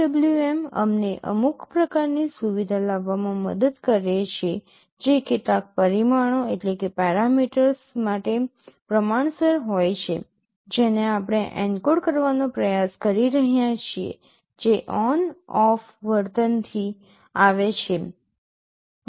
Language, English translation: Gujarati, PWM helps us in bringing some kind of feature that is proportional to some parameter we are trying to encode, that comes from the ON OFF behavior